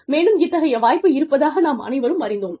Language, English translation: Tamil, And, all of us came to know, that such an opportunity existed